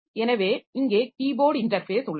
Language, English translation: Tamil, , this here also keyboard interface is there